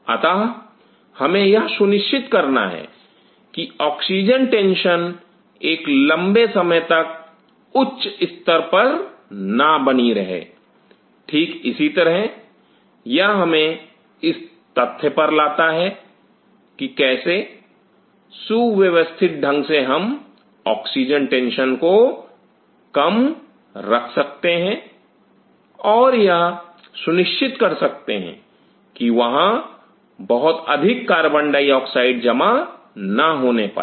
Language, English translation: Hindi, So, we have to ensure that the oxygen tension is not maintained at a higher level for a prolonged period of time, similarly that brings us that to the fact that how very systematically we can keep the oxygen tension low and ensure there is not much accumulation of CO2